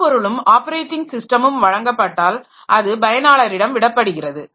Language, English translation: Tamil, Now, once the hardware and operating system is provided, it can be left to the user